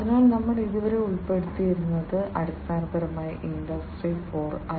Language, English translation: Malayalam, So, far what we have covered are basically the different fundamental concepts in Industry 4